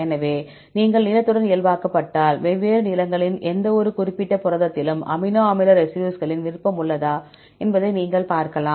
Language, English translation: Tamil, So, if you normalized with the length then you can see whether any preference of amino acid residues in any particular protein of different lengths